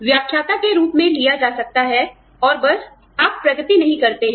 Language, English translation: Hindi, Could be taken in, as a lecturer, and you just, do not progress